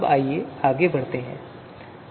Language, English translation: Hindi, Let us move forward